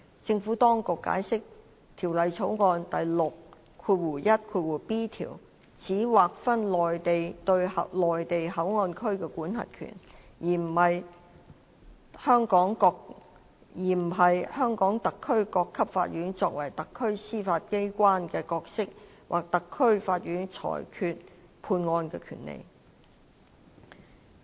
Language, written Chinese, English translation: Cantonese, 政府當局解釋，《條例草案》第 61b 條只劃分內地對內地口岸區的管轄權，而不是香港特區各級法院作為特區司法機關的角色或特區法院裁決判案的權力。, The Administration explains that clause 61b of the Bill merely serves to delineate the Mainlands jurisdiction over MPA but not the role of the courts at all levels of HKSAR as the judiciary of HKSAR or their power to adjudicate cases